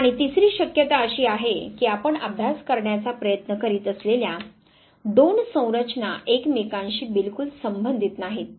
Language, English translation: Marathi, And the third possibility is that the two construct that you are trying to study they are not at all related to each other